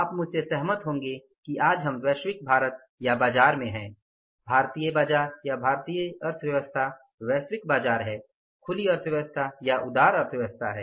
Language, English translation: Hindi, You will agree with me that today we are in the global India or in the market, Indian market or Indian economy is now the global economy, open economy, liberalized economy